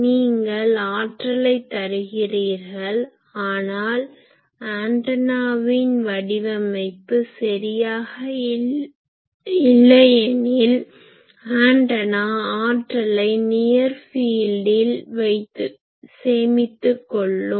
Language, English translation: Tamil, So, you are giving power, but if ready antenna is not properly designed, if it is inefficient the antenna it will store that energy in the near field